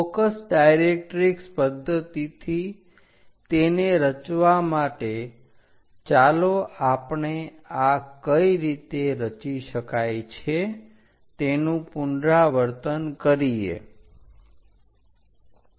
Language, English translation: Gujarati, To construct it through focus directrix method, let us recap how to construct this